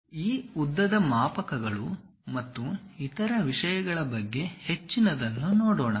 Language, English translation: Kannada, Let us look at more about these lengths scales and other things